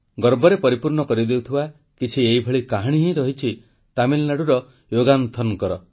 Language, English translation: Odia, Somewhat similar is the story of Yogananthan of Tamil Nadu which fills you with great pride